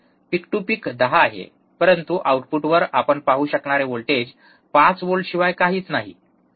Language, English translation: Marathi, See peak to peak is 10, but the voltage that you can see at the output is nothing but 5 volts, alright